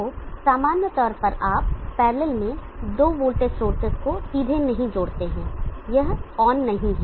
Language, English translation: Hindi, So in general you do not directly connect to a voltage sources in parallel like this, this is not on